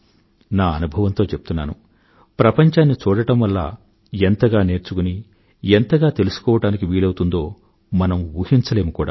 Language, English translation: Telugu, I can tell you from my experience of going around the world, that the amount we can learn by seeing the world is something we cannot even imagine